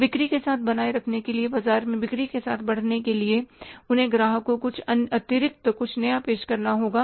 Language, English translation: Hindi, So, to sustain with the sales or to grow with the sales in the market, they have to offer something extra or something new to the customer